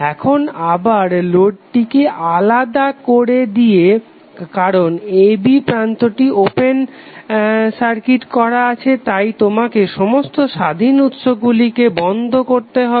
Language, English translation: Bengali, Now again with the load disconnected because the terminal a b then you have open circuit at the terminal a b all independent sources you need to turn off